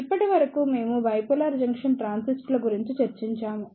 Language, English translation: Telugu, Till now, we discussed about the bipolar junction transistors